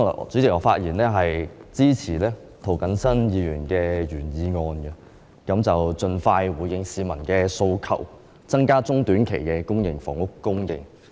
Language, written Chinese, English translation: Cantonese, 主席，我發言支持涂謹申議員的原議案，要求政府盡快回應市民的訴求，增加短中期的公營房屋供應。, President I speak in support of Mr James TOs original motion which calls on the Government to expeditiously respond to public aspirations by increasing housing supply in the short - to - medium term